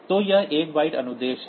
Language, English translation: Hindi, So, this is 1 byte instruction